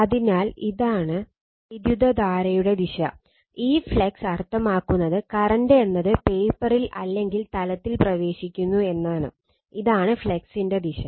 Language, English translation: Malayalam, So, this is this is the direction of the current, this flux means that your current is entering into the into on the on the paper right that mean in the plane, and this direction this is the direction of the flux